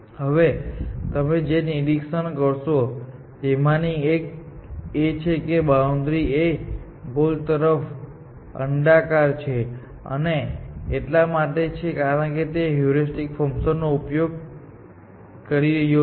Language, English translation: Gujarati, Now, one of the things that you should observe is, that is boundary is ellipse towards the goal and that is, because it is using the heuristic function, essentially